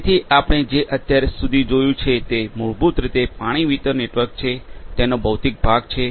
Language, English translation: Gujarati, So, what we have seen so far is basically the water distribution network, the physical part of it